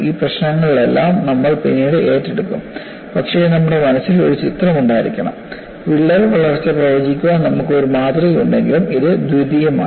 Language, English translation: Malayalam, All these issues will take it up later, but you will have to have a mental picture, though you have a model to predict crack growth, it is only secondary